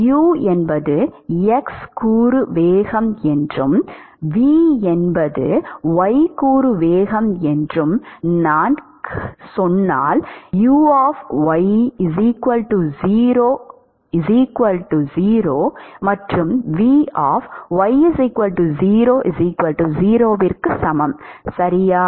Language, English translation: Tamil, Then if I say u is the x component velocity and v is the y component velocity, what is u and v at y equal to 0